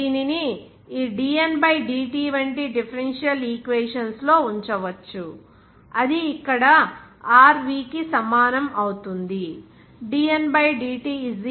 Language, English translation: Telugu, dN = rVdt And this can be put into differential equations like this dN/dt that is visible to here rV